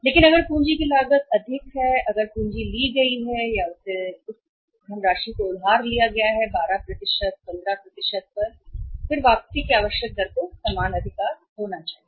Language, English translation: Hindi, But if the cost of capital is higher if the capital has been taken or he has been borrowed the funds have been borrowed at 12%, 15% then the required rate of return has to be the same right